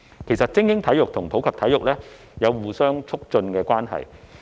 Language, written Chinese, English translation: Cantonese, 其實，精英體育與普及體育有着相互促進的關係。, In fact elite sports and sports for all are in a positively interactive relationship with each other